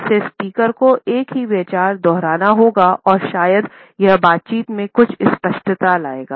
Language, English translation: Hindi, This would cause the speaker to repeat the same idea and perhaps it would bring certain clarity in the dialogue